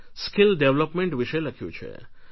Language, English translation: Gujarati, They have written about Skill Development